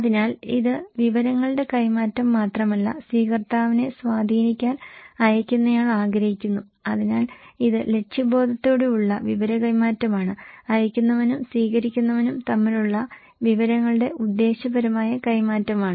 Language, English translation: Malayalam, So, it’s not only a matter of exchange of informations but sender wants to influence the receiver, so it is a purposeful exchange of information, purposeful exchange of informations between senders and receivers